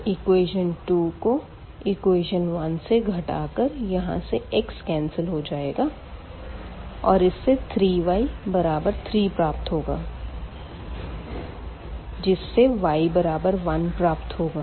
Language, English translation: Hindi, So, we will get here the x will get cancelled and then we will get 3 y is equal to 3 which gives us the y is equal to 1